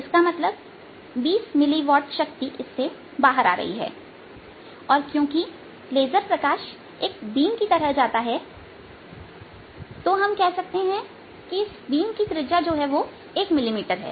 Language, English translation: Hindi, a twenty mini watt power is coming out and since laser light is go as a beam, let us say the radios of this beam is one millimeter